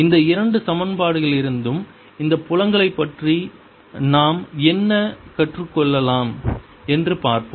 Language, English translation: Tamil, let us see what we can learn about these fields from these two equations